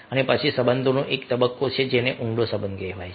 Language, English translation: Gujarati, and then there is a relationship stage that is called deep relationship